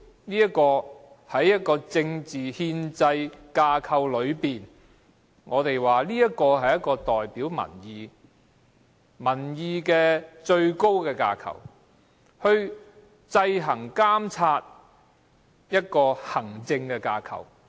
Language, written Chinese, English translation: Cantonese, 在政治憲制架構內，議會就是代表民意的最高架構，是制衡、監察的行政架構。, Within the political and constitutional framework the Council is the highest framework representing public opinions to check and balance as well as monitor the administrative framework